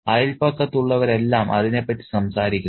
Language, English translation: Malayalam, Everyone in the neighborhood is talking about it